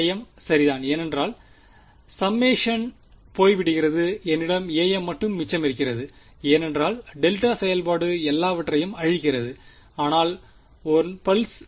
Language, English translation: Tamil, a m right the summation goes away I am left with a m because, the delta function annihilates all, but 1 pulse